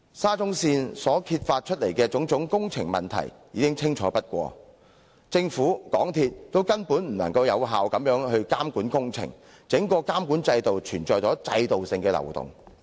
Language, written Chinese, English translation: Cantonese, 沙中線揭發的種種工程問題已充分反映，政府和港鐵公司根本無法有效監管工程，整個監管制度存在制度性的漏洞。, The various works problems exposed in respect of SCL have fully reflected that both the Government and MTRCL have failed to monitor the works effectively and the entire monitoring system is rife with systemic loopholes